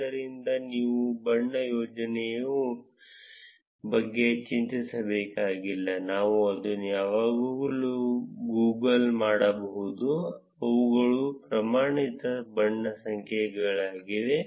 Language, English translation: Kannada, So, you do not need to worry about the color combination, we can always Google it, these are the standard color codes